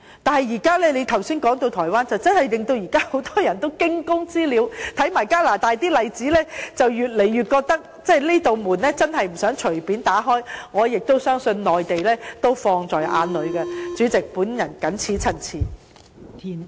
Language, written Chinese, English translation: Cantonese, 但是，你剛才提到台灣，實在令很多人有如驚弓之鳥，再看看加拿大的例子，便越發令人覺得不想隨便打開這扇門，而我亦相信內地也注視這事......代理主席，我謹此陳辭。, But just now you mentioned Taiwan and it has indeed caused many people to become panic - stricken and if we further look at the example of Canada it makes people feel more and more strongly that this door must not be opened casually and I believe the Mainland is also keeping this issue in view Deputy Chairman I so submit